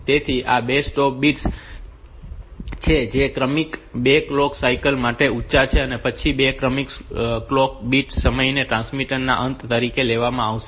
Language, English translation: Gujarati, So, these are the 2 stop bits which are high for 2 successive clock cycles and then successive clock 2 successive bit times and then they will be taken as the end of the transmission